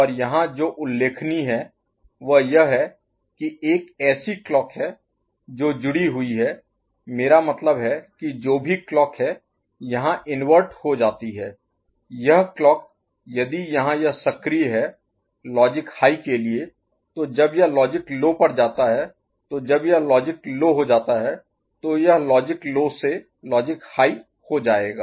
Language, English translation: Hindi, And what is notable here is that there is a clock which is connected, I mean whatever clock goes here the inverted the clock if it is active for this is logic high so when it goes to logic low right, so when it goes to logic low so, this will go from logic low to logic high